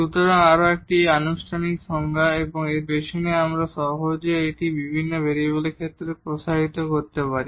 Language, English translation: Bengali, So, this is more formal definition and the reason behind this we will we can easily extend it to the case of several variable